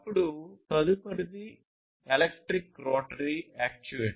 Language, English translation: Telugu, Then the next one is electric rotary actuator